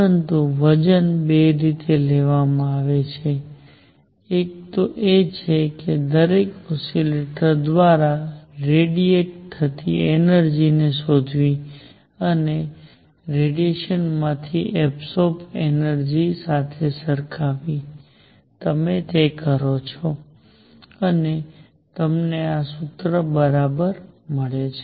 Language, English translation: Gujarati, But the weight is derived as a two ways one is to find the energy radiated by each oscillator and equate it to the energy absorbed by it from the radiation, you do that and you get precisely this formula